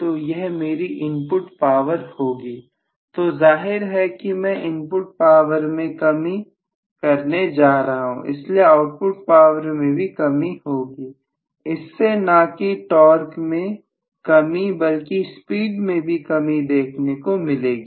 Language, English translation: Hindi, So this is going to be my input power so obviously I am going to have reduction in the input power also probably because of which I will have reduction in the output power not reduction in the torque but reduction in the speed